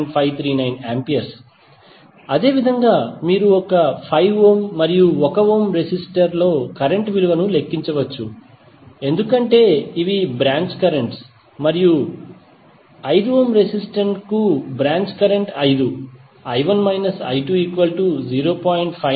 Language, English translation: Telugu, So similarly you can calculate the value of current in 5 ohm and 1 ohm resistor because these are the branch currents and 5 for 5 ohm resistance the branch current would be I1 minus I2